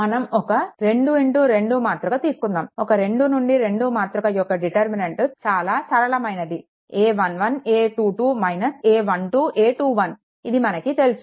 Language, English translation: Telugu, Suppose for a 2 into 2 matrix, right for a 2 into 2 matrix determinant is simple a 1 1, a 2 2 minus a 1 2, a 2 1 this you know